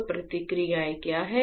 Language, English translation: Hindi, So, what are the processes right